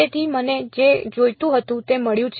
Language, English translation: Gujarati, So, I have got what I wanted